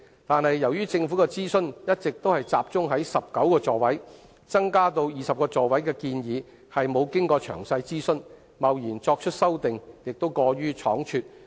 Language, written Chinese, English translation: Cantonese, 但是，由於政府的諮詢一直集中在增加小巴座位至19個，增加至20個座位的建議並沒有經過詳細諮詢，貿然作出修訂，亦過於倉卒。, That said as the Government has all along focused on the increase of seats in light buses to 19 and no detailed consultation has been conducted on the proposed increase to 20 it will be a rash and hasty decision to implement the 20 - seat proposal